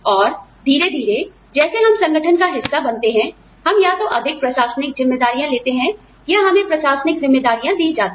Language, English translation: Hindi, And, slowly, as we become part of the organization, we either take on more administrative responsibilities, or, we are given administrative responsibilities